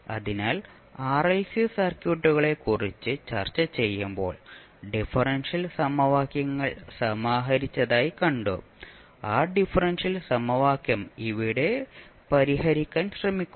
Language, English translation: Malayalam, So when we were discussing the RLC circuits we saw that there were differential equations compiled and we were trying to solve those differential equation